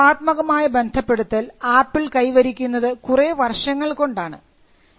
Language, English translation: Malayalam, Now, this creative association is something which Apple achieved over a period of time